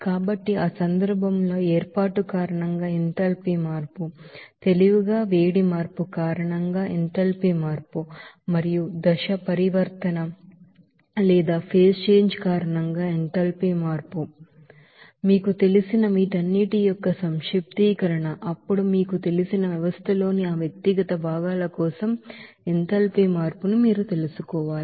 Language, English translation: Telugu, So in that case, the summation of all this you know enthalpy change due to formation, enthalpy change due to the sensibly heat change and also enthalpy change due to the phase transition then you have to get this you know enthalpy change for that individual components in the you know system